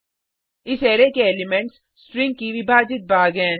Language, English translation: Hindi, The elements of this Array are the divided portions of the string